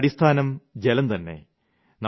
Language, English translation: Malayalam, Water is the basis of all life